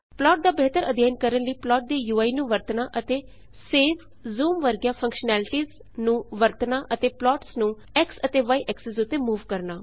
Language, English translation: Punjabi, To Use the UI of plot for studying it better and using functionality like save,zoom and moving the plots on x and y axis